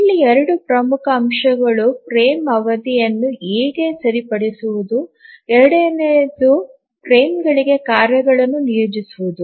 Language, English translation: Kannada, Two important aspects here, one is how to fix the frame duration, the second is about assigning tasks to the frames